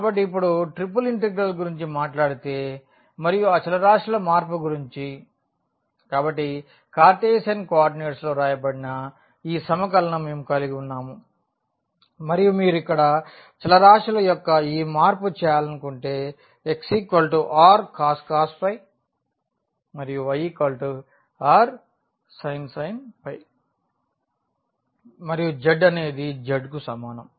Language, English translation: Telugu, So, here now if we talk about the triple integral and the change of variables; so, we have this integral which is written in the Cartesian coordinates and if you want to make this change of variables here x is equal to r cos phi y is equal to r sin phi and z is equal to z